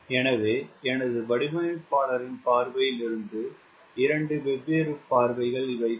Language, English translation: Tamil, so these are the two different views from my, my designers perspective